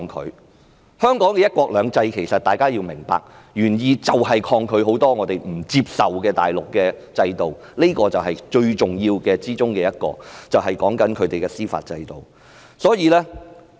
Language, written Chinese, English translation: Cantonese, 大家要明白，香港"一國兩制"的原意是抗拒很多我們不接受的大陸制度，這是最重要的一點，所指的是它的司法制度。, We have got to understand that the original intent of one country two systems in Hong Kong is to resist a number of Mainland systems not accepted by us . The most important one is its judicial system